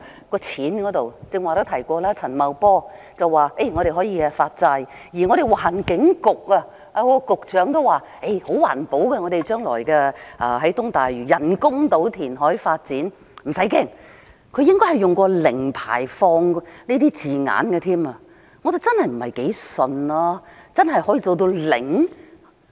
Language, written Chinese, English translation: Cantonese, 剛才也提到，陳茂波司長說可以發債，而環境局局長亦說東大嶼人工島將來的填海發展十分環保，大家不用害怕，他應該曾經使用"零排放"等字眼，但我真的不太相信，真的可以做到"零"？, As I said just now Financial Secretary Paul CHAN said that bonds can be issued while the Secretary for the Environment also said that the reclamation project of developing the artificial islands at East Lantau will be most environmentally - friendly telling us not to worry about it and he used such wording as zero emission . But I really do not quite believe it . Can it really be zero?